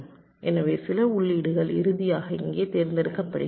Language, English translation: Tamil, so some inputs are finally selected here